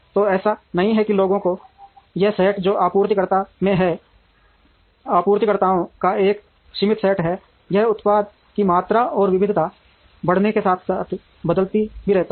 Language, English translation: Hindi, So, it is not that this set of people, who are in the suppliers is a finite set of suppliers it also keeps changing as the product volume and variety increases